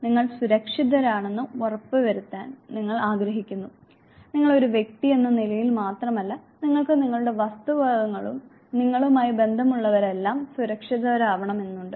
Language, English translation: Malayalam, You want to ensure that you are safe, you are secure and it is not only that you only you are secured as an individual, but your belongings and those associated with you, they also are safe and secure